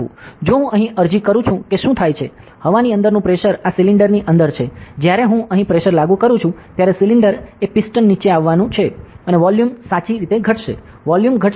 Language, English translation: Gujarati, So, if I apply here what happen is, pressure inside the air is inside this cylinder, when I apply the pressure here, the cylinder is the piston is going to come down and the volume decreases correct, volume decreases